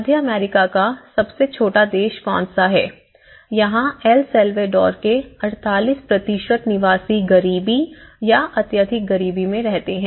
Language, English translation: Hindi, Which is the smallest country in the Central America so, it is about the 48% of inhabitants of El Salvador live in the poverty or in extreme poverty